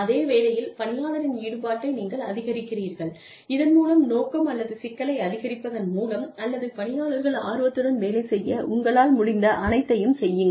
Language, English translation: Tamil, And, you increase the involvement of the employee, in the same job, by either increasing the scope, or complexity, or doing whatever you can, to help the employee enjoy the job more